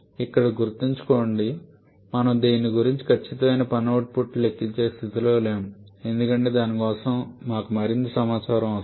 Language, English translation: Telugu, Remember here we are not in a position to calculate the exact work output from this because for that we need more information